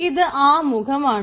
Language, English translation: Malayalam, that is the introductory